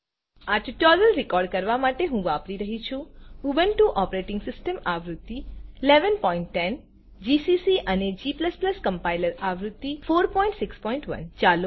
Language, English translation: Gujarati, To record this tutorial, I am using, Ubuntu Operating System version 11.10, gcc Compiler version 4.6.1